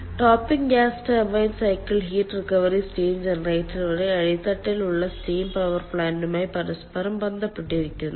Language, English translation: Malayalam, the topping gas turbine cycle is interlinked with the bottoming steam power plant through the heat recovery steam generator